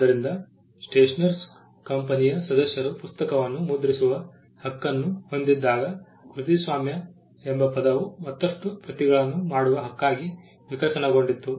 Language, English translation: Kannada, So, when the members of the stationer’s company had the right to print the book, the word copyright evolved as a right to make further copies